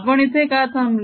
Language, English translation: Marathi, why did we stop there